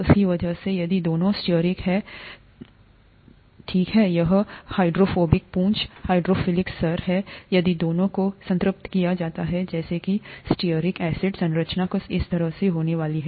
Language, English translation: Hindi, Because of that, if both are stearic, okay, this, this is the hydrophobic tail, hydrophilic head; if both are saturated, such as stearic acid, the structure is going to be something like this